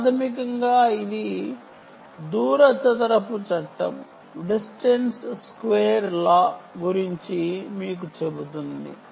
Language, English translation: Telugu, basically it is telling you about the distance square law